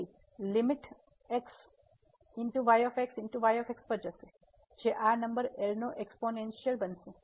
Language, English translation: Gujarati, So, limit goes to a will become the exponential of this number